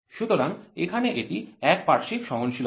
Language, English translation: Bengali, So, it is known as unilateral tolerance